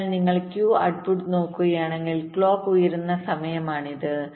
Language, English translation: Malayalam, so if you look at the q output, this is the time where clock is becoming high